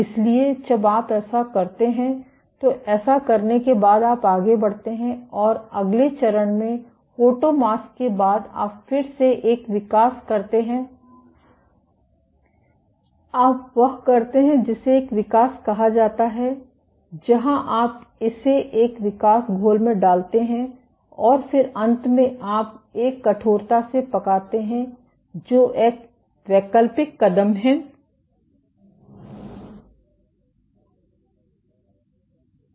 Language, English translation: Hindi, So, after you do this, after doing this you go ahead and do the next step after photomask you do again a develop, you do what is called a develop, where you put this in a development solution and then finally, you do a hard bake which is an optional step ok